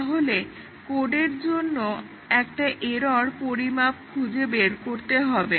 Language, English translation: Bengali, So, find an error estimate for the code